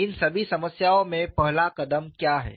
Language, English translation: Hindi, In all this problems, what is the first step